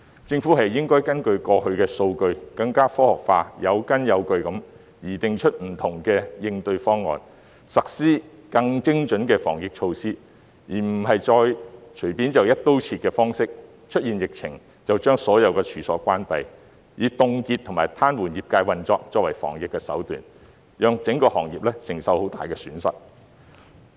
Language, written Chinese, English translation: Cantonese, 政府應該根據過去的數據，更加科學化、有根有據地擬訂出不同應對方案，實施更精準的防疫措施，而不是再隨便用"一刀切"的方式，當出現疫情時便把所有處所關閉，以凍結和癱瘓業界運作作為防疫手段，讓整個行業承受極大損失。, The Government should based on the past data formulate different response plans in a more scientific and well - founded manner and implement more precise anti - epidemic measures . It should not adopt a broad - brush approach again closing down all premises in the event of an outbreak freezing and paralysing the operation of an industry as a means to fight the epidemic thus causing the whole industry to suffer a great loss